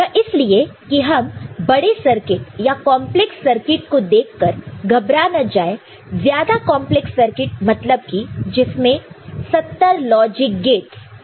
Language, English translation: Hindi, So, that we you know, do not get you know, frightened by looking at the bigger circuit more complex circuit having you know, about 70 logic gates or so